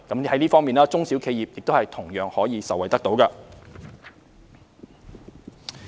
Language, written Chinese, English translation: Cantonese, 在這方面，中小企同樣可以受惠。, SMEs will also be benefited in this aspect